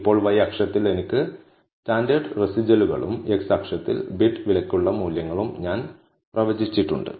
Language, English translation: Malayalam, Now, on the y axis, I have standardized residuals and on the x axis, I have predicted values for bid price